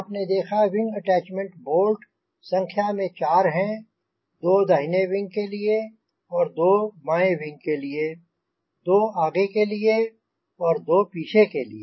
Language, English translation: Hindi, so you have seen the wing attachment bolts, two for the left wing and two for the right wing, two on the right side